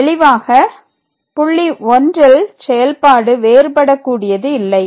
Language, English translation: Tamil, So, there is a point here where the function is not differentiable